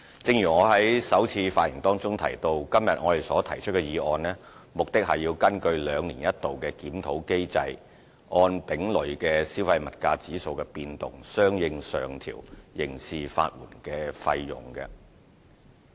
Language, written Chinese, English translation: Cantonese, 正如我在首次發言中提到，我這次提出的決議案，目的是根據兩年一度的檢討結果，按丙類消費物價指數的變動，相應上調刑事法援費用。, As I mentioned in the opening remarks the resolution proposed by me today is to make corresponding upward adjustments to the rates for criminal legal aid fees as per the biennial review results which reflected the accumulated change in the Consumer Price Index C